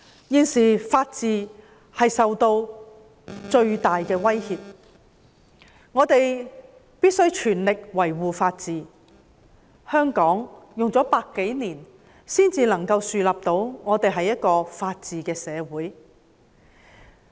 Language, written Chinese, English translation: Cantonese, 現時法治受到最大的威脅，我們必須全力維護法治，香港花了100多年才能夠建立到一個法治的社會。, At present the rule of law is facing the largest threat and we must defend the rule of law with all our efforts . Hong Kong has spent over a century before establishing the rule of law